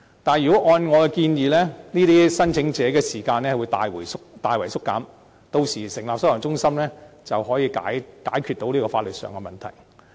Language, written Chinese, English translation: Cantonese, 但是，如果按我的建議，這些聲請者的輪候時間會大大縮短，屆時成立收容中心，便可以解決到這個法律上的問題。, But if my suggestion is put into practice the waiting time for these claimants will be greatly reduced . In that case the legal problem with setting up detention centres can be solved